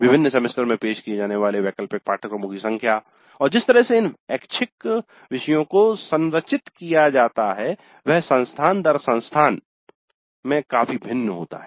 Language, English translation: Hindi, The number of elective courses offered in different semesters and the way these electives are structured vary considerably from institute to institute